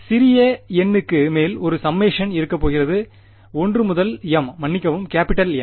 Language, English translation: Tamil, And there is going to be a summation over small n is equal to 1 to m capital N sorry